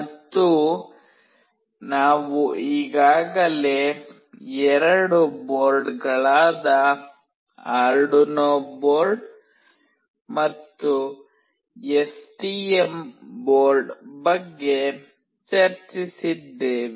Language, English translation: Kannada, And, we have already discussed about the two boards, Arduino board and STM board